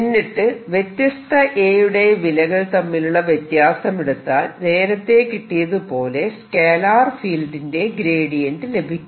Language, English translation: Malayalam, if you calculate the difference between the different a's again, that come out to be equal to gradient of certain scalar field